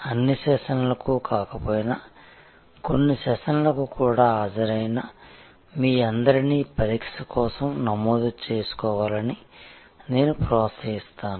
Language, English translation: Telugu, And I would encourage all of you who have attended even some of the sessions, if not all the sessions to register for the examination